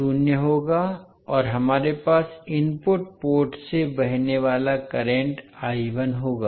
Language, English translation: Hindi, I2 will be zero and we will have current I1 flowing from the input port